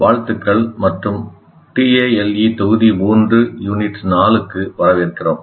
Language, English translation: Tamil, Greetings and welcome to Tale, Module 3, Unit 4